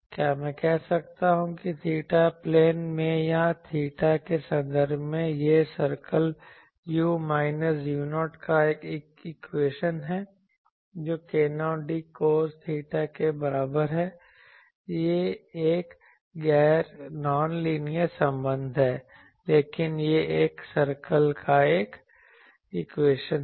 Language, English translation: Hindi, Can I say that in the theta plane or in terms of theta, this is an equation of a circle u minus u 0 is equal to k 0 d cos theta, it is a non linear relation, but it is an equation of a circle